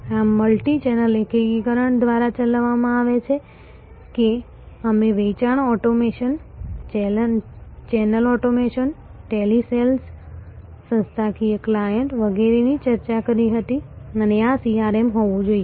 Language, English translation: Gujarati, This is executed by the multichannel integration, that we discussed sales automation, channel automation telesales institutional clients and so on and this is, this should be CRM